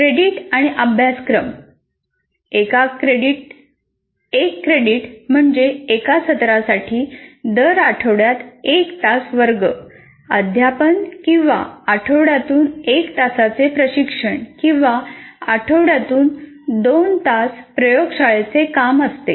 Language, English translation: Marathi, Once again, one credit is one classroom session per week over a semester, one hour of tutorial per week over a semester or two hours of laboratory work per week over a semester